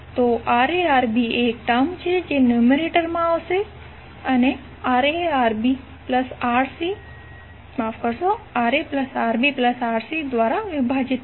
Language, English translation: Gujarati, So Ra Rb is the term that which will come in numerator and divided by Ra plus Rb plus Rc